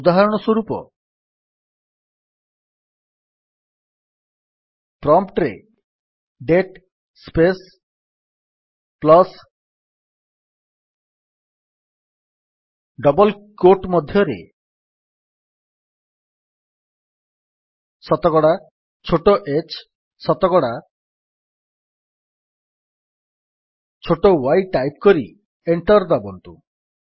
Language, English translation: Odia, For example type at the prompt: date space plus within double quotes percentage small h percentage small y and press Enter